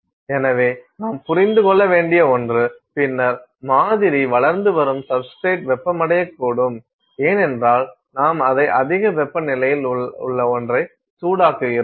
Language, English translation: Tamil, So, that is something that you have to understand, then the substrate on which the sample is growing that can also heat up because, you are heating it with something that is at very high temperature